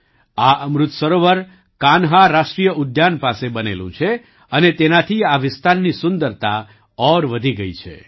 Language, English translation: Gujarati, This Amrit Sarovar is built near the Kanha National Park and has further enhanced the beauty of this area